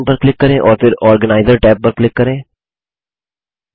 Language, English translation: Hindi, Click on the New option and then click on the Organiser tab